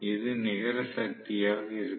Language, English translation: Tamil, So, this will be the net power